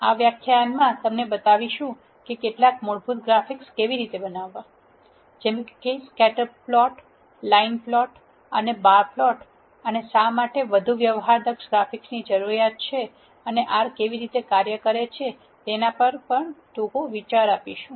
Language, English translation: Gujarati, In this lecture, we are going to show you how to generate some basic graphics; such as scatter plot, line plot and bar plot using R, and we will also give a brief idea on why there is a need for more sophisticated graphics and how R does it